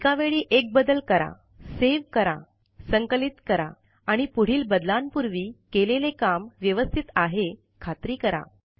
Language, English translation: Marathi, Make one change at a time, save, compile and make sure that whatever you have done works, before making further changes